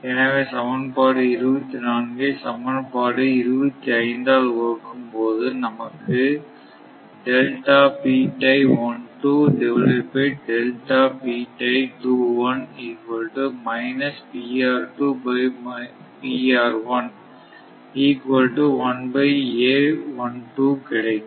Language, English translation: Tamil, Therefore, if divide equation 24 by equation 25, that means, your this is 24